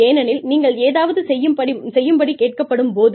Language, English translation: Tamil, Because, when you are asked to do something